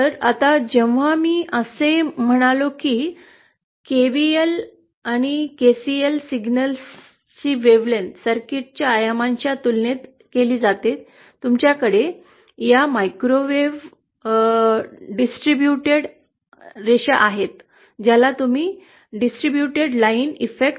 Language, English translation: Marathi, Now, what happens is when I said that whenever a wavelength of a signal is comparable to the dimensions surface the circuit, you have this microwave distributed lines what you call as distributed line effect